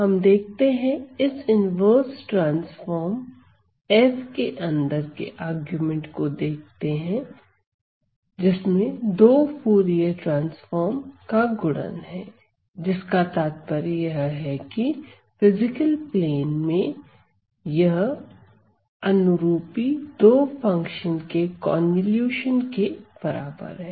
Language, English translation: Hindi, So, we see inside the argument of this inverse transform F have a product of two Fourier transform which means that in the physical plane this must be the convolution of the corresponding two function